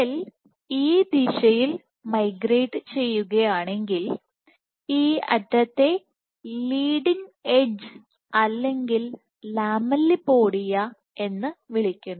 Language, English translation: Malayalam, So, at the edge of the; so if the cell is migrating this way, then this edge is called the leading edge or Lamelliopodia